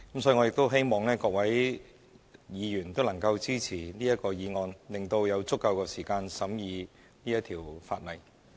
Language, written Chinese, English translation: Cantonese, 所以，我亦希望各位議員能支持這項議案，以便有足夠時間審議這項法例。, Therefore I urge Members to support the motion to allow sufficient time for us to scrutinize this legislation